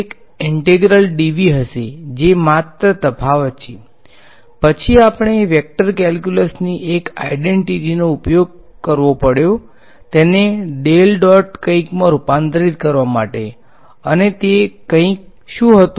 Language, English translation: Gujarati, In 3D it would be a integral dv that is only difference, then we had use one identity of vector calculus to convert this into a del dot something; and what was that something